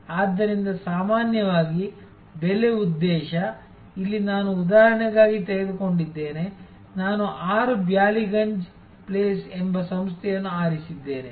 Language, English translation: Kannada, So, typically the pricing objective, here I have taken for an example, I have chosen an organization called 6 Ballygunge place